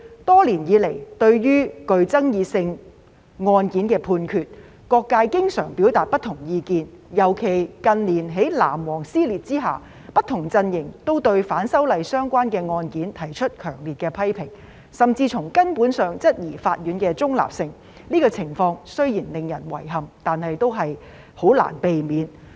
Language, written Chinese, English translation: Cantonese, 多年以來，對於具爭議性案件的判決，各界經常表達不同意見，尤其近年在"藍黃"撕裂之下，不同陣營都對反修例相關的案件提出強烈的批評，甚至從根本上質疑法院的中立性，這情況雖然令人遺憾，但也難以避免。, Over the years various sectors of the community have expressed different views on the court judgments in controversial cases and especially given a rift between the blue ribbons and the yellow ribbons in recent years different camps have strongly criticized cases relating to the opposition to the proposed legislative amendments and even fundamentally questioned the neutrality of the courts . This situation though regrettable is nevertheless inevitable